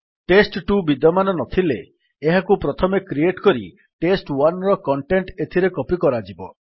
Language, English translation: Odia, If test2 doesnt exist, it would be first created and then the content of test1 will be copied to it